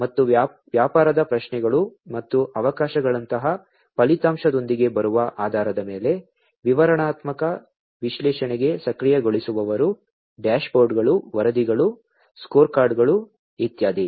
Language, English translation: Kannada, And based on that coming up with outcome such as the business questions and the opportunities, the enablers for descriptive analytics are dashboards, reports, scorecards, and so on